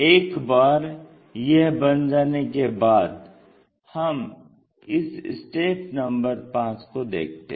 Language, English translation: Hindi, Once these construction is done, look at this step 5